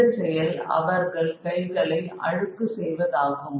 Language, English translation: Tamil, All these ventures lead to dirty of their hands